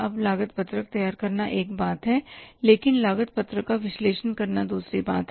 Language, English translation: Hindi, Now, preparation of the cost sheet is one thing but analyzing the cost sheet is other thing